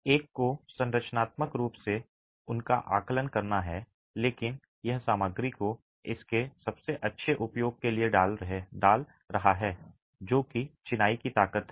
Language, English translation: Hindi, One has to assess them structurally but this is putting the material to its best use which is the strength of masonry itself